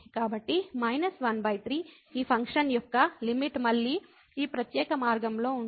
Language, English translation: Telugu, So, minus 1 over 3 is the limit of this function along this particular path again